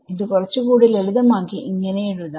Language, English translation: Malayalam, So, let us maybe we will write it over here